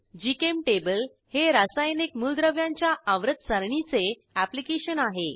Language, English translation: Marathi, GChemTable is a chemical elements Periodic table application